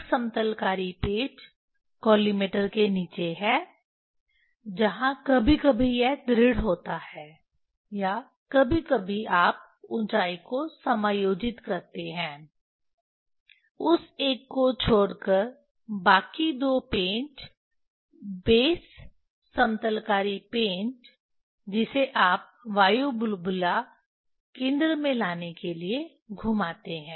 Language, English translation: Hindi, one leveling screw below the collimator, where sometimes this the fixed one or sometimes you adjust the height, leaving that one the other two screw, leveling base leveling screw, that you rotate to bring the air bubble at the center